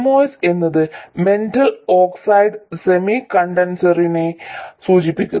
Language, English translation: Malayalam, The moss stands for metal oxide semiconductor